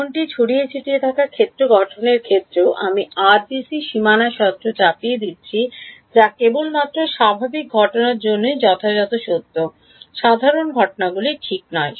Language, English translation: Bengali, Even in the scattered field formulation I am imposing the boundary condition the RBC which is correctly true only for normal incidence not for non normal incidence right